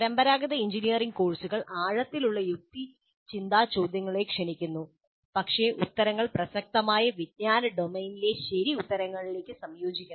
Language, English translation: Malayalam, The traditional engineering courses invite deep reasoning questions, but the answers must converge to true within court's in the relevant knowledge domain